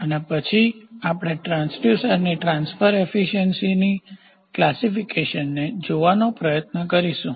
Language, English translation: Gujarati, And then we will try to see the transfer efficiency classifications of transducers